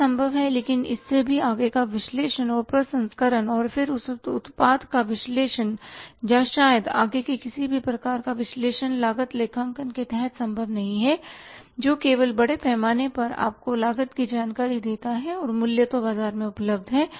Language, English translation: Hindi, That is possible but further beyond that further analysis analysing and processing and then analysis of that product or maybe the further any kind of analysis is not possible under cost accounting that only largely gives you the costing information and pricing is available from the market